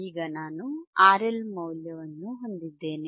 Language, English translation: Kannada, I can find the value of R L